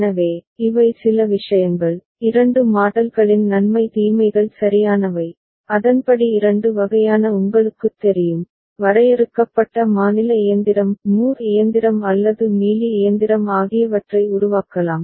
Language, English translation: Tamil, So, these are certain things, pros and cons of two models right, and accordingly two kind of you know, finite state machine Moore machine or Mealy machine can be developed ok